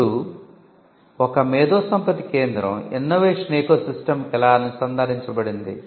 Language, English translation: Telugu, Now, how is an IP centre connected to an innovation ecosystem